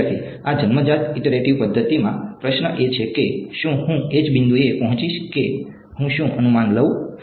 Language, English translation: Gujarati, In this born iterative method the question is will I arrive at the same point regardless or what guess I take